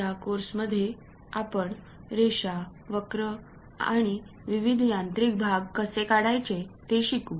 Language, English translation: Marathi, In this subject we are going to learn about how to draw lines, curves, various mechanical parts